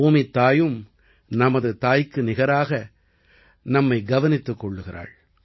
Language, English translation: Tamil, The Earth also takes care of us like a mother